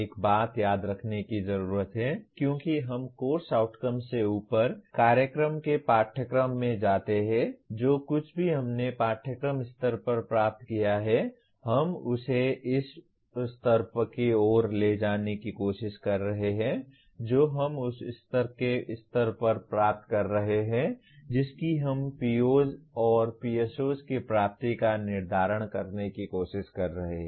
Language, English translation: Hindi, One thing needs to be remembered as we go up from Course Outcomes, courses to the program, the whatever we have attained at the course level we are trying to take it towards in terms of what we have attained at the course level we are trying to determine the attainment of POs and PSOs